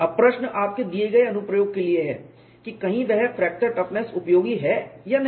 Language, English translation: Hindi, Now, the question is for your given application, whether that fracture toughness is useful or not